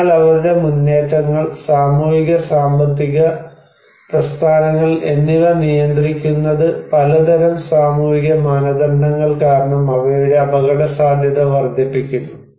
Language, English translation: Malayalam, So, their movements, social and economic movements are restricted because of various kind of social norms which actually increase their vulnerability